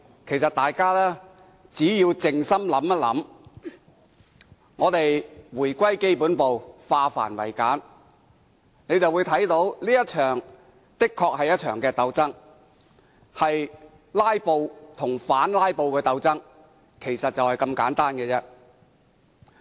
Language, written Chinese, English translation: Cantonese, 其實，大家只要靜心想想，回歸基本步，化繁為簡，便會看到這確實是一場鬥爭，是"拉布"與反"拉布"的鬥爭，就是這麼簡單。, Actually if we calm down and think turning the complicated into the basics we will realize that this is indeed a battle between filibustering and counter filibustering . This is just that simple